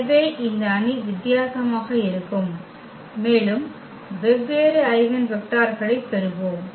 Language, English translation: Tamil, So, this matrix is going to be different and we will get different eigenvectors